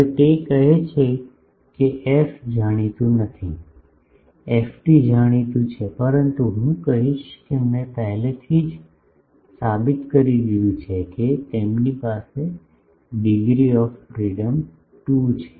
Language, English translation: Gujarati, Now, it says that f is not known, ft is known ok, but I will say that I have already proved that, they had degree of in freedom is 2